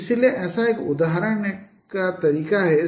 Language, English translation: Hindi, So one such example, one such method could be like this